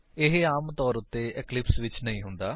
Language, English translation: Punjabi, It does not happen usually on Eclipse